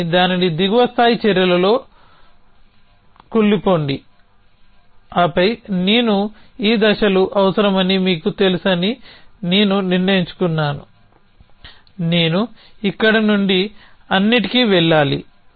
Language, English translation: Telugu, But then decompose it in lower level actions the, and then I decide that you know I need these steps I need go from here to station all